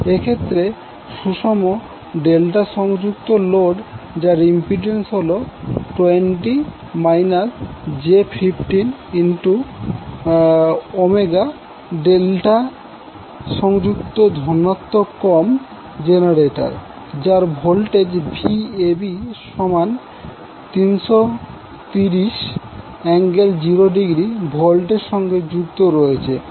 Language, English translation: Bengali, So in this case the balanced delta connected load having an impedance of 20 minus J 15 Ohm is connected to a delta connected positive sequence generator having Vab equal to 330 angle 0 degree volt